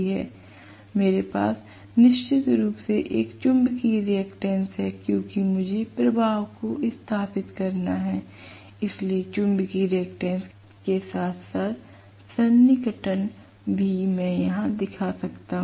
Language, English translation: Hindi, I do have definitely a magnetizing reactance because I have to establish the flux, so the magnetizing reactance as well approximation I can show it here